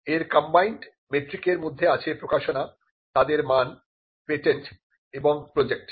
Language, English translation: Bengali, This includes the combined metric for publications, their quality, patents and projects